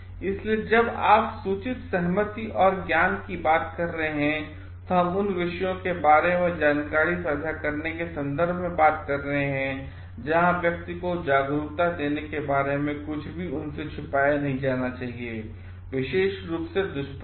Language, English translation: Hindi, So, when you are talking of informed consent and knowledge, we are talking of the knowledge of the maybe giving awareness to the person in terms of sharing information to the subjects where nothing should be hidden from them, more specifically the side effects